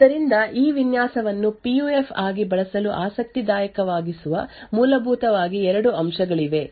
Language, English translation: Kannada, So, there are essentially 2 aspects that make this design interesting for use as a PUF